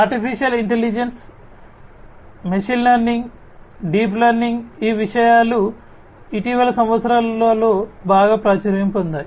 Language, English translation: Telugu, Artificial Intelligence, ML: Machine Learning, Deep Learning these things have become very popular in the recent years